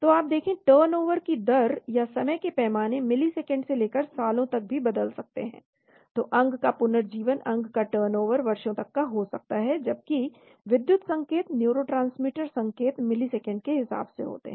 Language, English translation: Hindi, So you see the turnover rates or the time scale can change from milliseconds to even years, so organ rejuvenation , organ turnover could be years, whereas electrical signal, neurotransmitter signals are in terms of milliseconds